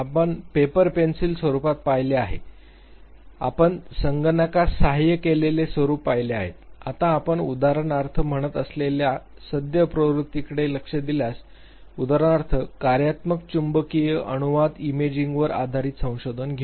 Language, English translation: Marathi, We have seen in the paper pencil format, we have seen the computer assisted formats; now if you look at the current trend you say for example, let us take the research which are based on the functional magnetic resonance imaging for instance